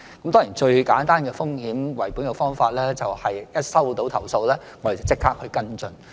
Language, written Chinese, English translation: Cantonese, 當然，最簡單的風險為本的方法，就是一接獲投訴，便立即跟進。, Definitely the simplest risk - based approach is taking prompt follow - up action upon receipt of a complaint